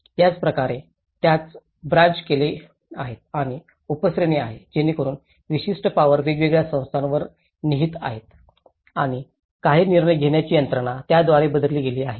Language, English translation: Marathi, So similarly, it has been branched out and subcategories so that certain powers are vested on different bodies and certain decision making mechanisms have been channelled through